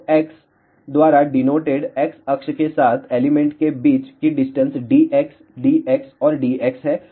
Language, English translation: Hindi, So, distance between the elements along the x axis denoted by d x d x and d x